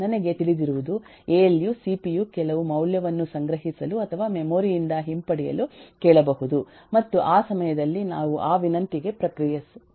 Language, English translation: Kannada, all that I know is alu might ask the cpu might ask for some value to be stored or retrieve from the memory and at that point of time we can just respond to that request